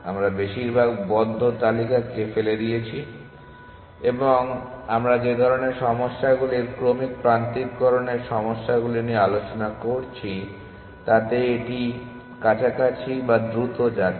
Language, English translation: Bengali, So, we are thrown away most of the close list and in the kind of problems that we discussed the sequence alignment problems it is close which is going faster